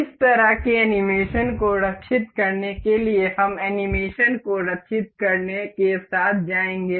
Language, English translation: Hindi, To save this kind of animation, we will go with save animation